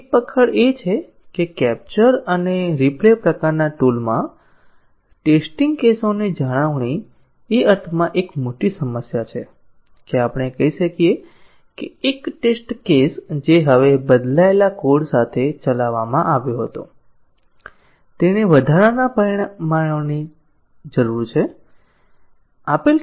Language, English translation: Gujarati, One of the catch is that, in the capture and replay type of tool, maintenance of test cases is a big problem in the sense that let us say, a test case which was run now with the changed code, it needs additional parameters to be given